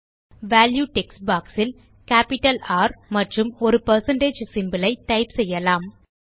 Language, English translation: Tamil, In the Value text box, let us type in capital R and a percentage symbol